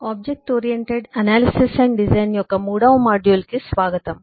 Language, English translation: Telugu, welcome to module 3 of object oriented analysis and design